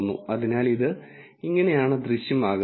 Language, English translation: Malayalam, So, this is how it appears